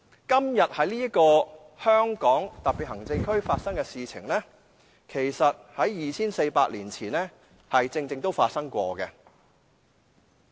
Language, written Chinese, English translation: Cantonese, 今天在香港特別行政區發生的事情，其實正正在 2,400 年前曾經發生。, What is happening today in the Hong Kong Special Administrative Region indeed happened 2 400 years ago